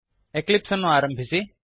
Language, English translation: Kannada, Switch to Eclipse